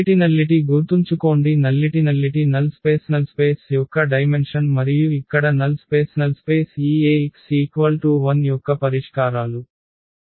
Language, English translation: Telugu, Nullity remember the nullity was the dimension of the null space and the null space here is the solutions set of this Ax is equal to 0